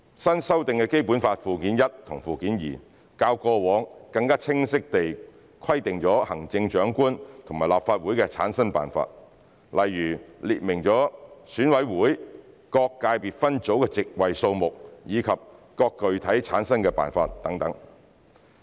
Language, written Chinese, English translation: Cantonese, 新修訂的《基本法》附件一和附件二，較過往更清晰地規定了行政長官和立法會的產生辦法，例如列明了選委會各界別分組的席位數目及具體產生辦法等。, The newly amended Annexes I and II to the Basic Law specify more clearly the method for the selection of the Chief Executive and the method for the formation of the Legislative Council . For example it sets out the delimitation of and the number of seats allocated to each sector of EC and the specific methods for returning EC members